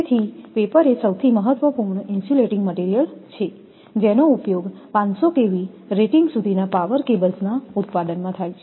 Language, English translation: Gujarati, So, paper is most important insulating material used in the manufacture of power cables up to 500 kV rating